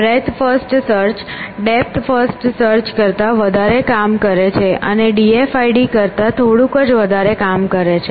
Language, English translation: Gujarati, Breadth first search little bit doing little more over than depth first search, and d f i d is doing only little bit more work than d f i d